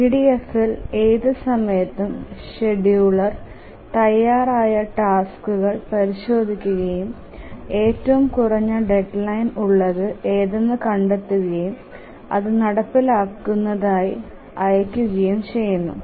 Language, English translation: Malayalam, In the EDF at any time the scheduler examines the tasks that are ready, finds out which has the shorter deadline, the shortest deadline and then dispatches it for execution